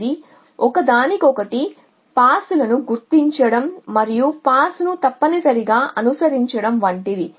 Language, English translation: Telugu, So, it is like marking out pass for each other and following the pass essentially